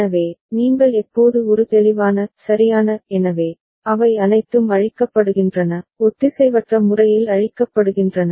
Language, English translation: Tamil, So, whenever you are giving a clear – right; so, all of them are getting cleared, asynchronously cleared